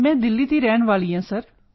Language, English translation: Punjabi, I belong to Delhi sir